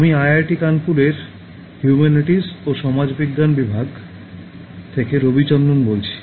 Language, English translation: Bengali, I am Ravichandran from the Department of Humanities and Social Sciences, IIT Kanpur